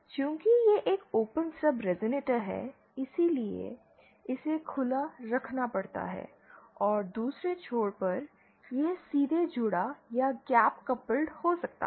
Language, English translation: Hindi, Since it is an open stub resonator it has to have this open and the other end it can be either directly connected or gap coupled